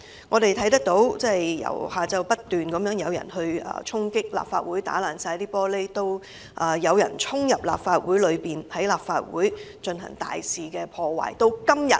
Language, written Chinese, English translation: Cantonese, 我們看到由下午開始，不斷有人衝擊立法會，毀爛玻璃，之後更有人衝入立法會內大肆破壞。, As we have witnessed since afternoon that day the Legislative Council Complex was incessantly assailed . After its glass panels were smashed some people even charged into and extensively damaged the Complex